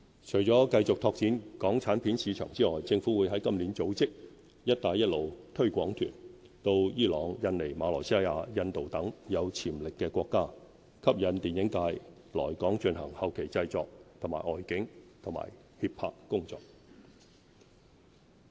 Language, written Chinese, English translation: Cantonese, 除了繼續拓展港產片市場之外，政府會在今年起組織"一帶一路"推廣團，到伊朗、印尼、馬來西亞、印度等有潛力的國家，吸引電影界來港進行後期製作和外景及協拍工作。, In addition to our continuous efforts to expand markets for local films the Government will from this year organize Belt and Road promotional tours to countries with market potential such as Iran Indonesia Malaysia and India with a view to attracting film producers to come to Hong Kong for post - production and location filming and production facilitation services